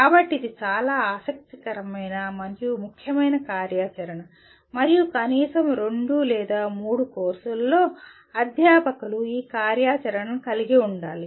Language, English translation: Telugu, So this is a very interesting and important activity and at least in 2 or 3 courses the faculty should incorporate this activity